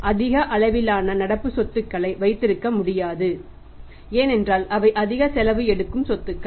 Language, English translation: Tamil, So, we cannot afford to keep the high level of current assets reason being there highly expensive assets